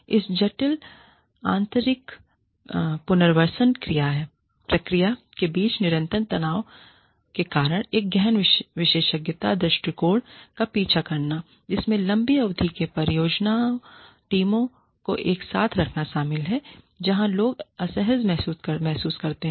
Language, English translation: Hindi, This complex internal resourcing process, due to continuous tensions between, pursuing a deep expertise approach, which involves keeping project teams together, over long periods, where people feel uncomfortable